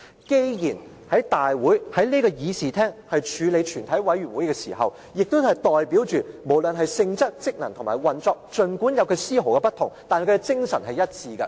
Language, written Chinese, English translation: Cantonese, 既然我們是在這議事廳處理全體委員會的事務，代表了無論是性質、職能和運作，儘管有絲毫不同，但精神是一致的。, Despite the slight differences in the nature function and operation between the Council and a committee of the whole Council the two share the same spirit . That is why the businesses of a committee of the whole Council are also dealt with in this Chamber